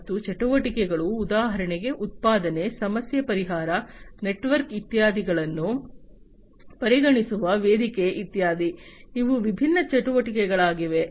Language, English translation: Kannada, And the activities, activities for example production, problem solving, platform that is considered the network etcetera, these are the different activities